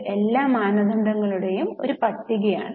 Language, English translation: Malayalam, So, this is the list of all the standards